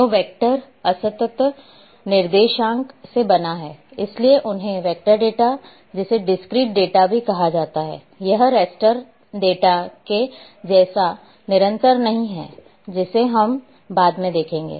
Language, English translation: Hindi, So, a vector types what this is composed of discrete coordinates, because we call them vector data is also called as discreet data it is not continuous as raster data which will we see later on